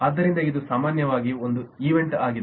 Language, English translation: Kannada, so that is typically an event